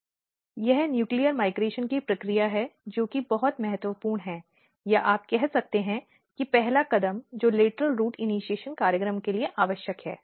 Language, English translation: Hindi, This is the process of for nuclear migration which is very important or you can say one of the first step which is required for lateral root initiation program